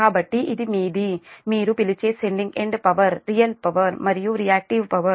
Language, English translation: Telugu, so this is your what you call sending end power, real power and reactive power